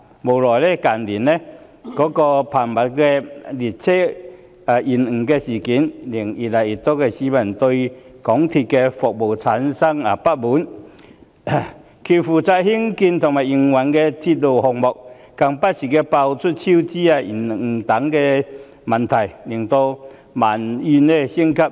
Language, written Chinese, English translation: Cantonese, 無奈的是，近日頻密的列車延誤事件，令越來越多市民對港鐵公司的服務有所不滿，而港鐵公司負責興建和營運的鐵路項目更不時被揭發超支及工程延誤等問題，以致民怨升級。, Regrettably the frequent train delays these days have aroused discontent among a growing number of people about MTRCLs services . And the unveiling of problems with rail lines constructed and operated by MTRCL from time to time such as cost overruns and works delays has led to the escalation of public grievances